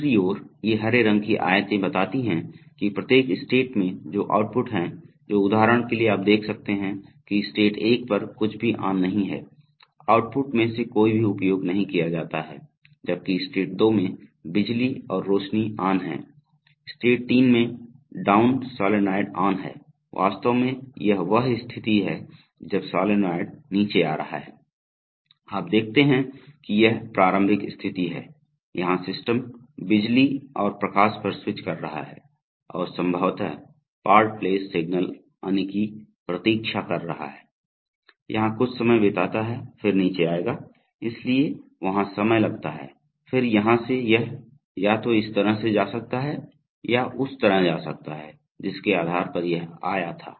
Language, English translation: Hindi, On the other hand these green rectangles indicate that at each state which are the outputs which are on, for example you can see that in state 1 nothing is on, none of the outputs are exercised, while in state 2 the power and lights are on, in state 3 the down solenoid is on, actually this is the state when the solenoid is coming down, so you see that this is the initial state, here the system is switching on the power and the light and possibly waiting for part place signal to come, so it might spend some time here then it is coming down, so takes time there, then from here it could either go this way or go this way and depending on which one of this have come